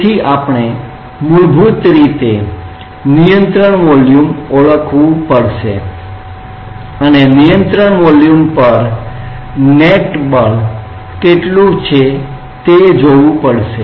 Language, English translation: Gujarati, So, we have to basically find out we have to identify a control volume and see what is the net force on the control volume